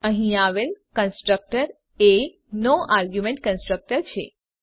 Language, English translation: Gujarati, The constructor here is the no argument constructor